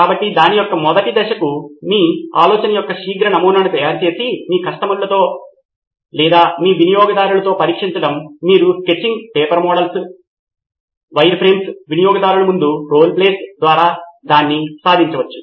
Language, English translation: Telugu, So the first step in that is to make a quick prototype of your idea and test it with your customers or your users, you can achieve that by sketching, paper models, wireframes, role plays in front of the customer